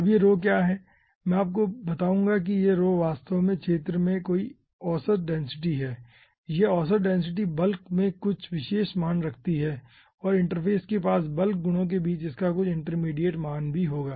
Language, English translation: Hindi, i will be telling you ah, this rho is actually ah, ah, some average density in the field, and this average density will be having ah, some particular value at the bulk, and ah, ah, some intermediate value between the bulk properties near the interface